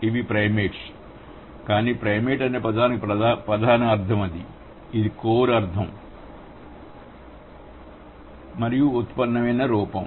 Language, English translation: Telugu, But the word primate whose core meaning is this, this is the core meaning, okay, and this is the derived form